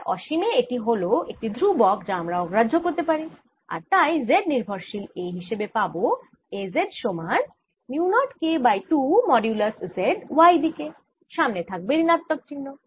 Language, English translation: Bengali, it's a constraint which i'll ignore and therefore the z dependence of a finally comes out to be a z is equal to mu naught k over two modulus z, with the minus sign in the y direction